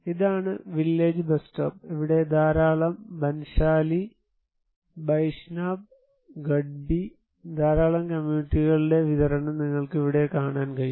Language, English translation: Malayalam, This was the village bus stop and here a lot of Banshali, Baishnab, Gadbi, so lot of distribution of communities are you can see here